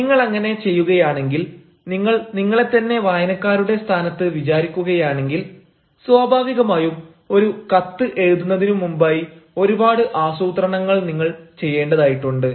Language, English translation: Malayalam, so if you do that, if you imagine yourself to be in the position of the reader, naturally that is why a lot of planning is to be done before you write a letter